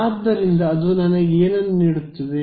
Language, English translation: Kannada, So, what does that give me it gives me